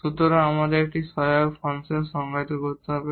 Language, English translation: Bengali, So, we need to define such an auxiliary function